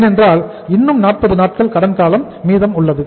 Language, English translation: Tamil, Because still there is 40 more days credit period is to go